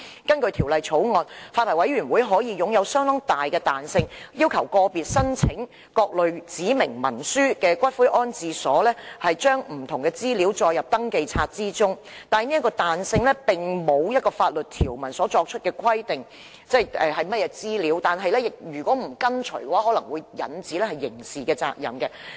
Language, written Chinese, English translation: Cantonese, 根據《條例草案》，私營骨灰安置所發牌委員會擁有相當大的彈性，可要求個別申請各類指明文書的骨灰安置所將不同資料載入登記冊，但這彈性並不受法律條文所規限，即並無法律條文就有關資料作出規定，以訂明違反條文可招致刑事責任。, Under the Bill the Private Columbaria Licensing Board will have considerable flexibility in requiring individual columbaria applying for specified instruments to include different information in the registers . However this flexibility is not subject to any statutory provision . That is to say there is no statutory provision prescribing such information and stipulating criminal liability for contravention thereof